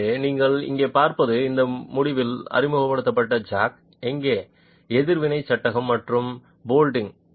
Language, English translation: Tamil, So, what you see here is the jack that is introduced at this end, the reaction frame here and bolting